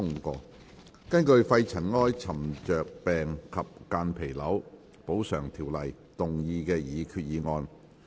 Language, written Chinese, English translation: Cantonese, 根據《肺塵埃沉着病及間皮瘤條例》動議的擬議決議案。, Proposed resolution under the Pneumoconiosis and Mesothelioma Compensation Ordinance